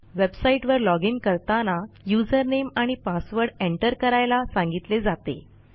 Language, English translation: Marathi, Youve probably logged into a website before and it said to enter your username and password